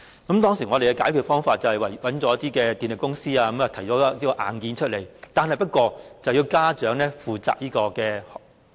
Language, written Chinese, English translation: Cantonese, 為解決這個問題，我們當時委託一些電力公司提供硬件，電費卻要由家長負責。, To resolve this problem at that time we commissioned some power companies to provide the hardware equipment but the electricity fees had to be borne by parents